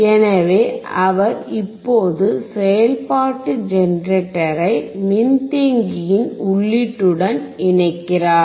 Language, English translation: Tamil, So, he is right now connecting the function generator to the input of the capacitor